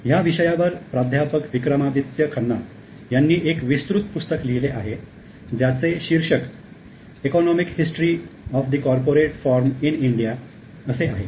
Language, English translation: Marathi, There has been a detailed book by Professor Vikramadityakhanda on economic history of the corporate form in India